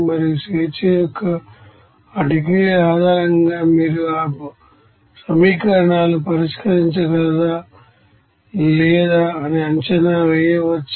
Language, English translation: Telugu, And also based on that degrees of freedom you can assess whether that equations can be solved or not